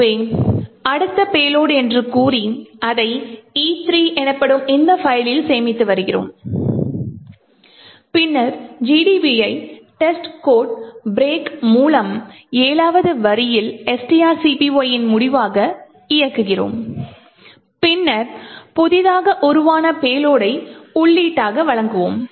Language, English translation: Tamil, So, we say next payload and store it in this file called E3 and then we run GDB with test code break at line number 7 which comprises which is end of string copy and then run giving the newly formed payload as the input